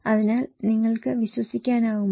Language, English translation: Malayalam, So, can you believe it